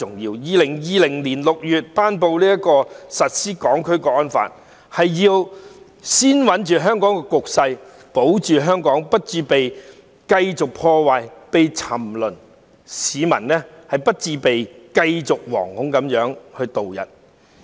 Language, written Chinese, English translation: Cantonese, 在2020年6月頒布實施《香港國安法》，是要先穩定香港局勢，保住香港不致繼續被破壞、沉淪下去，市民不致繼續惶恐度日。, The promulgation of the Hong Kong National Security Law in June 2020 was intended to stabilize the situations in Hong Kong and to ensure that Hong Kong would not continue to be subjected to destruction and sink into depravity and that the people would not continue to live in fear